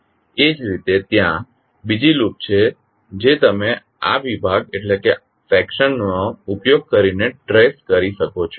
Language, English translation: Gujarati, Similarly there is another loop which you can trace using this particular section